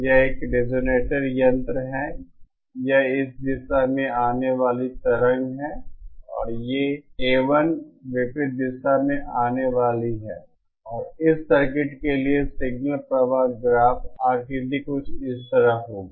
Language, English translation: Hindi, This is a resonator suppose this is the incident wave in this direction and this is the A l is my incident in the opposite direction and the signal flow graph diagram for this circuit will be something like this